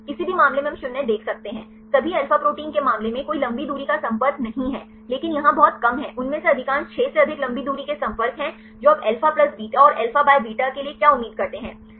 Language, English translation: Hindi, In any case we can see 0, there is no long range contact in the case of all alpha proteins, but here there is very less most of them are having more than 6 long range contacts what do you expect for the alpha plus beta and alpha by beta